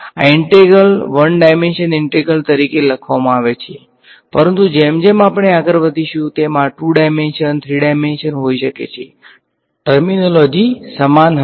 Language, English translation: Gujarati, These integrals have been written as an integral in 1 dimension, but as we go further these can be integrals in 2 dimensions, 3 dimensions; the terminology will be the same